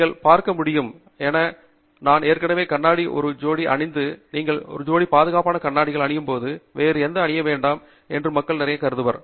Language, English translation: Tamil, As you can see, I am already wearing a pair of glasses okay; so a lot of people assume that once you wear a pair of glasses, you donÕt need to wear anything else